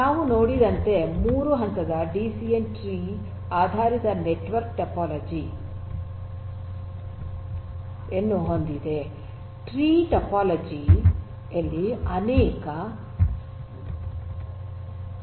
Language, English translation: Kannada, So, a 3 tier DCN as we have seen has a tree based network topology and there are multiple roots in the tree topology